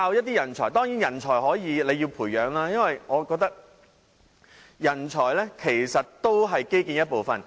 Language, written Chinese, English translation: Cantonese, 當然，人才可以培養，因為我覺得人才也是基建的一部分。, Of course talents can be nurtured because I think talents are also part of the infrastructure